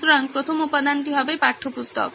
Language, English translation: Bengali, So the first component would be textbooks